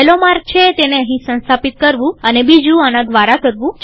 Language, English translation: Gujarati, One is too install it here and the other one is to go through this